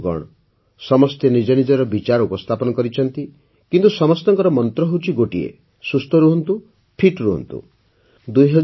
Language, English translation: Odia, Friends, everyone has expressed one's own views but everyone has the same mantra 'Stay Healthy, Stay Fit'